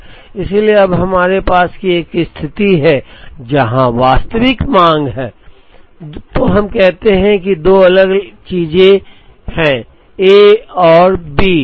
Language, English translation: Hindi, So, when we have a situation, where the actual demand is for, let us say the two different things are A and B